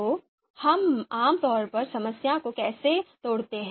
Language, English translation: Hindi, So how do we how do we typically breakdown the problem